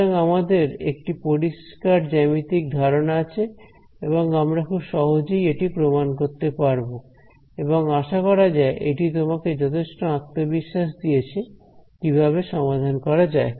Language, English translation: Bengali, So, we have a satisfactory a geometrical idea over here which talks about volume flowing out and we can prove it in a very simple way and hopefully this has given you enough confidence on how to solve this